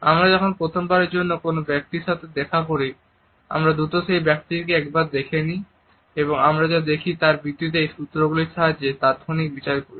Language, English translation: Bengali, When we meet a person for the first time then we quickly glance at a person and on the basis of what we see, we make an immediate judgment on the basis of these cues